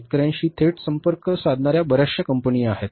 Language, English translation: Marathi, There are so many companies of the direct contacts with the farmers